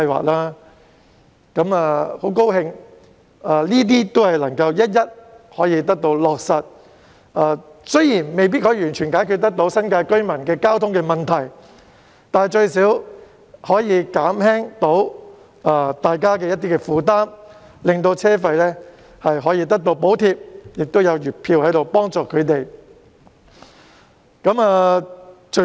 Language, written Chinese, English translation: Cantonese, 我樂見這些措施可以一一落實，雖然未必可以完全解決新界居民的交通問題，但最少可以減輕他們的負擔，獲得車費補貼和月票幫助。, I am delighted to see their implementation one after another . While all such initiatives may still be unable to resolve all the transport problems faced by residents of the New Territories they can at least reduce their burden through the provision of fare subsidies and monthly passes as assistance